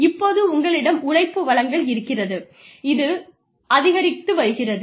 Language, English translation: Tamil, So, you have the supply of labor, that is going up